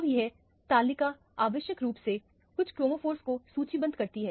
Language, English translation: Hindi, Now, this table essentially lists some of the chromophores